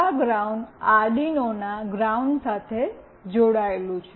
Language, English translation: Gujarati, This ground is connected to the ground of Arduino